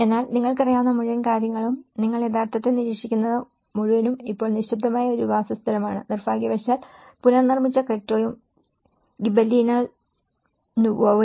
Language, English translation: Malayalam, But the whole thing you know, what you actually observe is the whole thing is now a silence place, unfortunately, the Cretto and the Gibellina Nuova which have been rebuilt